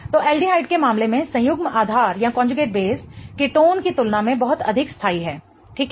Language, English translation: Hindi, So, the conjugate base in the case of aldehyde is much more stable than that of the ketone